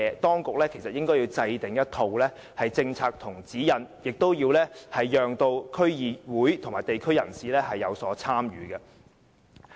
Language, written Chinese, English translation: Cantonese, 當局應該制訂一套政策和指引，同時要讓區議會及地區人士有所參與。, The authorities should formulate a set of policies and guidelines and let DC representatives and the communities participate in the process